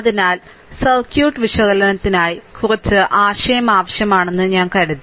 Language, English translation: Malayalam, So, little bit for circuit analysis as I thought little bit idea is required